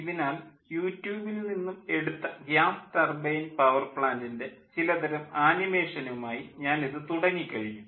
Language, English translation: Malayalam, so, ah, i have started with some sort of ah animation for gas turbine power plant which is taken from youtube